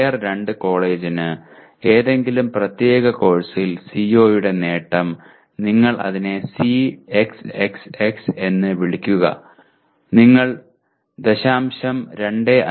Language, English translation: Malayalam, For Tier 2 college attainment of COi in any particular course you just call it Cxxx you compute 0